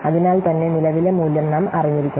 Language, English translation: Malayalam, So, that's why we must know the present value